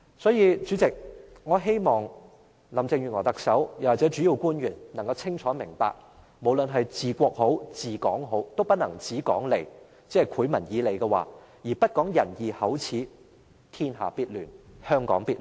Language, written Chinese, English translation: Cantonese, 所以，代理主席，我希望特首林鄭月娥或主要官員能夠清楚明白，無論是治國和治港均不能只說利，即只"賄民以利"，而不講仁義口齒，天下必亂，香港必亂。, Therefore Deputy President I hope that Chief Executive Mrs Carrie LAM or the principle officials can clearly understand that no matter in ruling a country or ruling Hong Kong they cannot be profit - oriented . If they only bribe people with profits but are oblivious to benevolence righteousness and their undertakings the whole country will be in chaos and so will Hong Kong